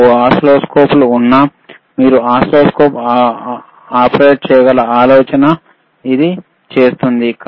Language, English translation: Telugu, aAnd it does not matter what oscilloscopes you have, the idea is you should be able to operate the oscilloscopes, all right